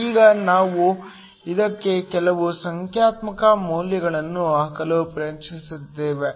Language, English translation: Kannada, Now, we tried to put some numerical values to this